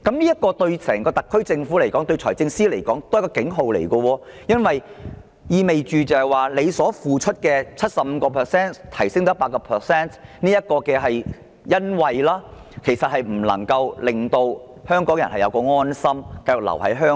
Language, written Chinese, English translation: Cantonese, 這對香港特區政府及財政司司長來說，都是一個警號，因為這意味司長雖提出調升退稅比率的優惠措施，但卻不能令香港人安心繼續留居香港。, This serves as a warning to both the SAR Government and the Financial Secretary because it implies that although a concession measure has been proposed by the Financial Secretary to increase the tax reduction rate this has failed to reassure Hong Kong people that it would be fine for them to continue settling in Hong Kong